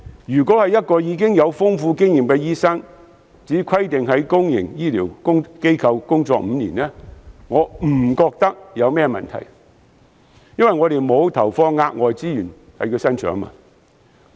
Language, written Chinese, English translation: Cantonese, 若是一名經驗豐富的醫生，即使只規定他須在公營醫療機構工作5年，我不認為有甚麼問題，因為我們沒有投放額外資源在他身上。, However in the case of an experienced overseas doctor as we do not have to invest any additional resources in training himher I think it is fine to just require himher to work in a public healthcare institution for five years